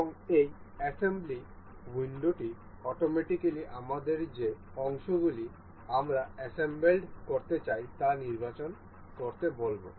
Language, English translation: Bengali, And this assembly window will automatically ask us to select the parts that have that we wish to be assembled